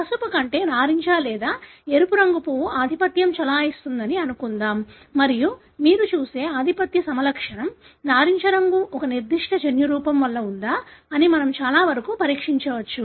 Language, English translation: Telugu, Let us assume that the orange or red colour flower is dominant over the yellow and, we can, pretty much test whether the dominant phenotype that you see, the orange colour is because of a particular genotype